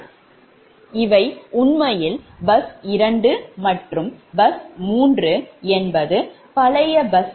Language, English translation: Tamil, so this are actually bus two and bus three are the old bus, right to your old buses